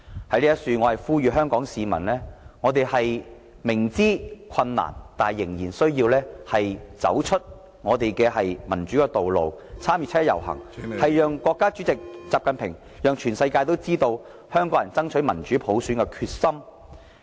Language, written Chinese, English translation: Cantonese, 我在此呼籲香港市民，雖然明知困難，但仍要走出我們的民主道路，參與七一遊行，讓國家主席習近平及全世界知道香港人爭取民主普選的決心。, Let me appeal to people of Hong Kong . Despite the difficulties we have to take to the streets for democracy and participate in the 1 July march so as to tell President XI Jinping and the whole world that Hong Kong people are determined to fight for democratic universal suffrage